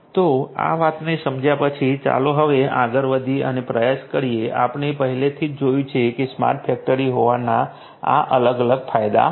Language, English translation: Gujarati, So, let us having understood this thing let us now proceed further and try to, we have already seen that these are the different benefits of having a smart factory